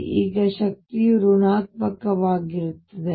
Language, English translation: Kannada, And this energy is going to be negative